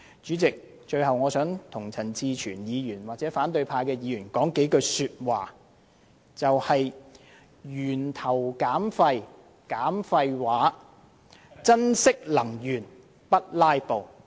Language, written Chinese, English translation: Cantonese, 主席，最後，我想向陳志全議員或反對派議員說一句話:"源頭減廢，減廢話；珍惜能源，不'拉布'"。, Lastly President I have a few words for Mr CHAN Chi - chuen or the opposition Members reduce waste at source and reduce superfluous remarks; cherish energy and no filibustering